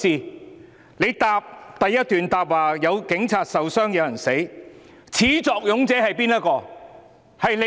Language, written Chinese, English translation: Cantonese, 他在主體答覆第一段提到有警察受傷、有人死亡，但始作俑者是誰？, While he mentioned in the first paragraph of the main reply that police officers had been injured and there were deaths who is the culprit?